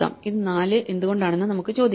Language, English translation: Malayalam, So, we can ask why is this 4